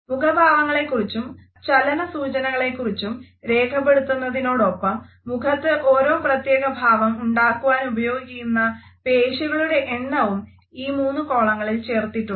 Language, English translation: Malayalam, In the three columns, we find that after having listed the expression and the motion cues, the number of muscles which have been used for producing a particular motion on our face are also listed